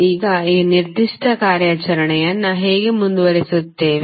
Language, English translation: Kannada, Now, how we will carry on this particular operation